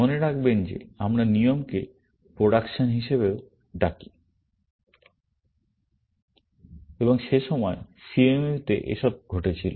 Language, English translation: Bengali, Remember that, we also called rules as productions, and all this was happening in CMU at that time